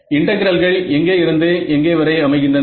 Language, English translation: Tamil, So, integrals form where to where